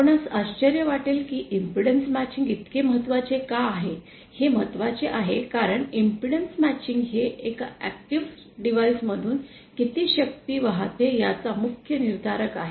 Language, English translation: Marathi, You may be wondering why impedance matching is so important, it is important because impedance matching is the main determiner of how much power is being, how much power will flow through an active device